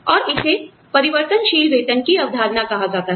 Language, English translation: Hindi, And, that is called, the concept of the variable pay